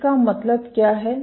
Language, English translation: Hindi, What this means is